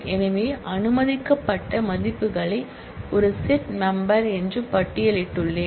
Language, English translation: Tamil, So, I have listed the values that are allowed in is a set membership